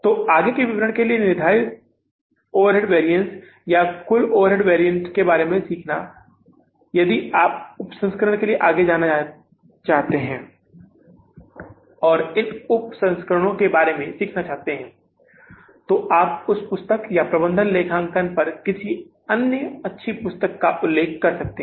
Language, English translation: Hindi, So, for the further detail learning about the fixed overhead variances or total overhead variances, if you want to further go for the sub variances and learning about those sub variances, you can refer to that book or any other good book on the management accounting